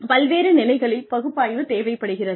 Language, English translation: Tamil, Various levels of needs analysis